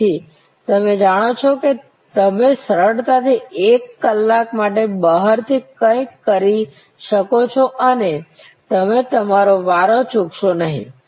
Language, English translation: Gujarati, So, you know about you can easily get something done outside go away for an hour and you will not miss your turn